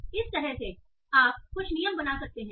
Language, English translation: Hindi, So like that you can formulate some rules